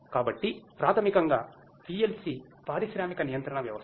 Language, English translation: Telugu, So, basically PLC is the industrial control system